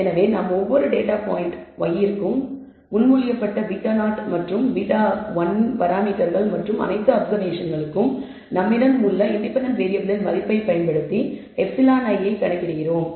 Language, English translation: Tamil, So, we compute e i for every data point y i using the proposed parameters beta 0 and beta 1 and the value of the independent variables we have for all the observations